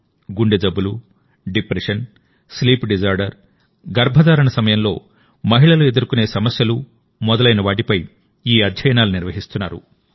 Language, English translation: Telugu, Like Heart Disease, Depression, Sleep Disorder and problems faced by women during pregnancy